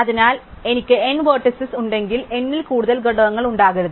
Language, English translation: Malayalam, So, I cannot have more than n components, if I have n vertices